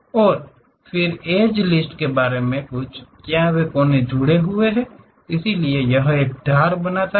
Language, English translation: Hindi, And then something about edge list, what are those vertices connected with each other; so, that it forms an edge